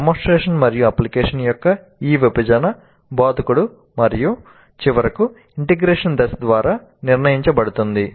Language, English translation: Telugu, So this division of demonstration application is decided by the instructor and finally integration phase